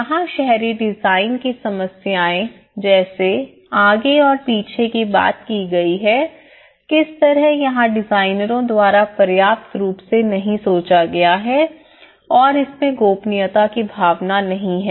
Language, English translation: Hindi, Here, the urban design issues talks about the fronts and backs you know how it is not sufficiently thought by the designers and a sense of privacy